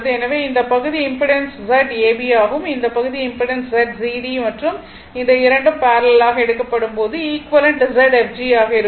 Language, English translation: Tamil, So, this is my this part impedance is Z ab, this part impedance is Z cd right and equivalent is will be Z fg when this 2 parallely be taken right